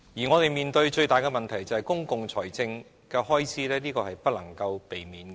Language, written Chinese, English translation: Cantonese, 我們面對的最大問題是公共財政的開支，這是不能避免的。, The most critical problem facing us stems from public expenditure which is inevitable